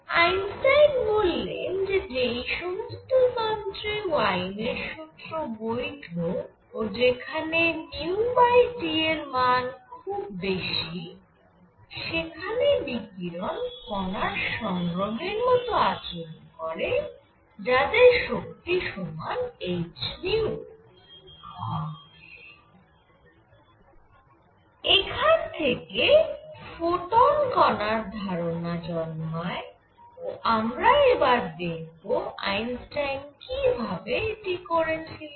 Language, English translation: Bengali, So, why; what Einstein says is that for a system where Wien’s formula for radiation is valid and that is a resume where nu over T is large, when this is valid, the radiation behaves like a collection of particles each with energy h nu and that gives the concept of photon and we want to see; how he did that